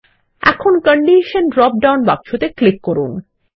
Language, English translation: Bengali, Now, click on the Condition drop down box